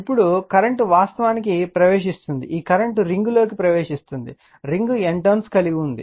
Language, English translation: Telugu, Now, current actually entering it, this current is entering this ring has N number of turns right